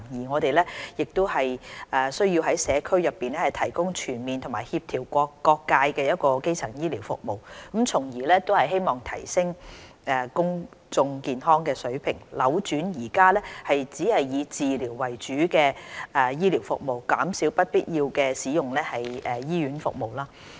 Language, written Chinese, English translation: Cantonese, 我們需要於社區內提供全面和協調各界的基層醫療服務，從而希望提升公眾健康的水平，扭轉目前以治療為主的醫療服務，減少不必要地使用醫院服務。, It is necessary for us to provide within the community primary health care services that are comprehensive and coordinate with various sectors with the view of enhancing the level of public health shifting the current focus of health care services away from providing treatment and reducing the unnecessary use of hospital services